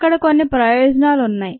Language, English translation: Telugu, there are some advantages there